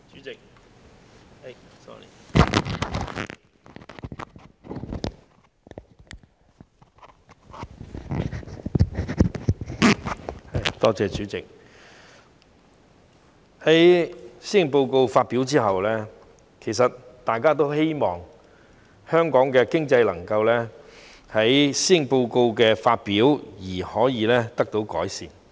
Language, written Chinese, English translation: Cantonese, 代理主席，在施政報告發表後，其實大家都希望香港的經濟能夠就施政報告的發表而可以得到改善。, Deputy President following the release of the Policy Address actually everyone hopes that the economy of Hong Kong can be improved with the initiatives announced in the Policy Address